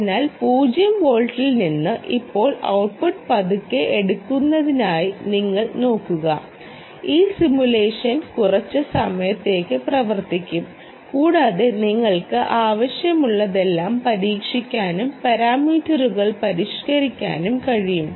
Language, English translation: Malayalam, so you see, now, from zero volts the output is slowly picking up and this simulation will run for a while and you can essentially try everything that you want